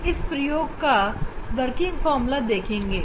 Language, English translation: Hindi, let us see the working formula for this experiment